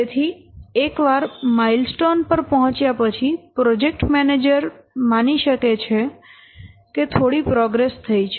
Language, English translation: Gujarati, So, once a milestone is reached, the project manager can assume that yes, some measurable progress has been made